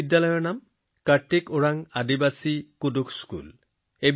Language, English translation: Assamese, The name of this school is, 'Karthik Oraon Aadivasi Kudukh School'